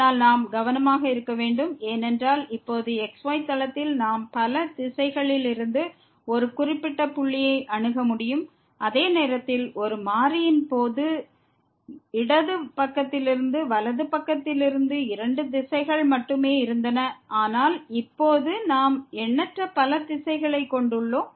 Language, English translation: Tamil, But we have to be careful because in the plane now we can approach to a particular point from several directions, while in case of one variable we had only two directions from the right hand side from the left hand side, but now we have infinitely many directions